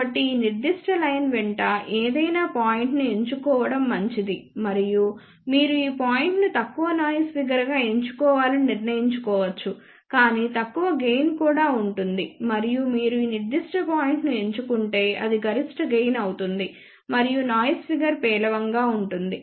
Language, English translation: Telugu, So, it is better that choose any point along this particular line and you can then decide to choose if you choose this point that will be the lowest noise figure, but lower gain also and if you choose this particular point then it will be maximum gain and poorer noise figure